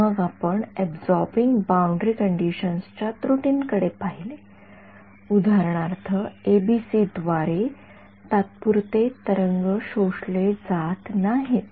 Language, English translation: Marathi, Then we looked at the inaccuracy of absorbing boundary conditions for example, evanescent waves are not absorbed by ABC